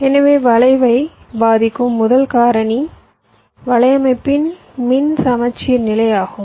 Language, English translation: Tamil, so the first factor that affects the skew is the electrical symmetry of the network